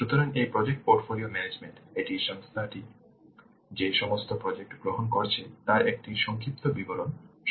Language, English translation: Bengali, So this project portfolio portfolio management it will provide an overview of all the projects that the organization is undertaking